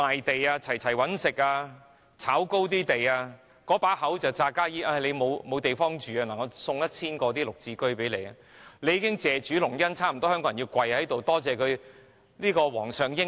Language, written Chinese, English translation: Cantonese, 那些"炒"高樓價的地產商，假惺惺說市民沒有屋住，送出 1,000 個"綠置居"單位，香港人已經差不多要跪在地上謝主隆恩，多謝皇上英明。, Real estate developers after pushing up the property prices put up a hypocritical act by releasing 1 000 Green Form Subsidised Home Ownership Scheme units for which Hong Kong people almost have to kneel down to thank the smart Highness for the magnanimous grace